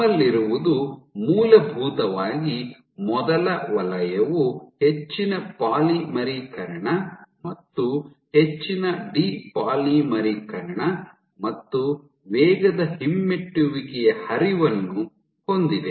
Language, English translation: Kannada, So, what you have, so in essence the first zone has high polymerization and high de polymerization plus fast retrograde flow